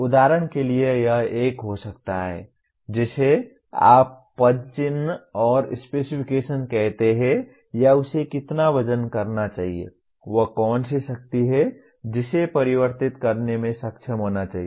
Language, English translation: Hindi, For example, it may have a, what do you call specification on the footprint or how much it should weigh, what is the power it should be able to convert